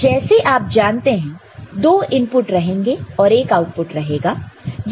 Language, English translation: Hindi, So, 1, 2 is the input and 3 is the output